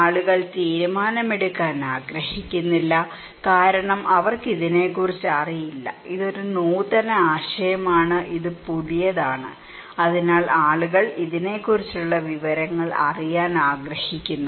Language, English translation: Malayalam, People do not want to make decisions because they do not know about this one, this is an innovative idea, this is the new, so people want to get information about this one